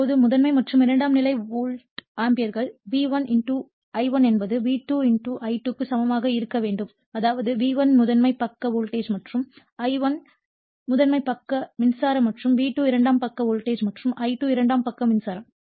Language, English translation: Tamil, Now, hence the primary and secondary volt amperes will be equal that is V1 * I1 must be equal to V2 * I2 , that is V1 actually is your primary side voltage and I1 is the primary side current and V2 is a secondary side voltage and I2 is the secondary side current